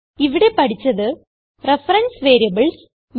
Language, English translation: Malayalam, Now let us learn about reference variables